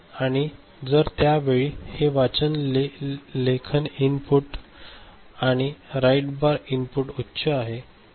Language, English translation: Marathi, And at that time if this read write input, read write bar input is high ok